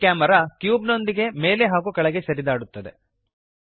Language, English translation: Kannada, The camera moves up and down alongwith the cube